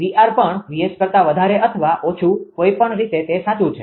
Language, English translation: Gujarati, VR also maybe greater than VS or less than VS either way it is true